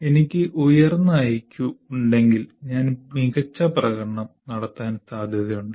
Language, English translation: Malayalam, If I have higher Q, I am likely to get, I am likely to perform better